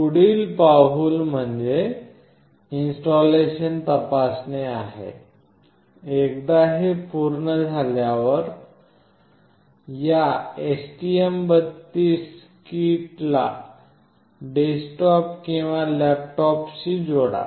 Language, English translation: Marathi, Next checking the installation; once it is already done connect this STM32 kit to the desktop or laptop